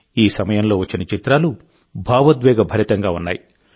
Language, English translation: Telugu, The pictures that came up during this time were really emotional